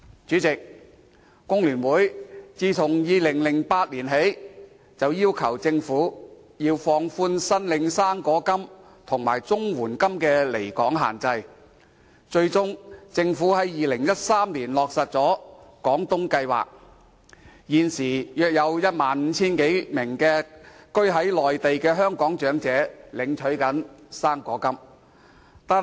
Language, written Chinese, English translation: Cantonese, 主席，工聯會自2008年起，便要求政府放寬領取"生果金"及綜合社會保障援助的離港限制，最終，政府在2013年落實了廣東計劃，現時約有 15,000 多名居於內地的香港長者領取"生果金"。, President since 2008 FTU has kept requesting the Government to relax the permissible limit of absence from Hong Kong for the fruit grant and Comprehensive Social Security Assistance recipients . Finally the Government launched the Guangdong Scheme in 2013 . At present around 15 000 Hong Kong elderly persons who reside in the Mainland are receiving fruit grant